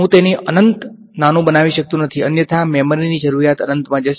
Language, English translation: Gujarati, I cannot make it infinitely small otherwise the memory requirement will go to infinity